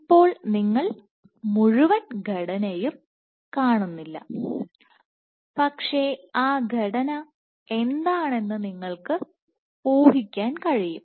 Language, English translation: Malayalam, So, now you do not see the entire structure, but you can guess what that structure is